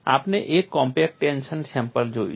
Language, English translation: Gujarati, We have seen a compact tension specimen